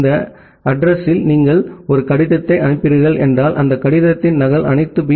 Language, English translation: Tamil, If you are sending a letter by this address that means, a copy of that letter will be sent to all the B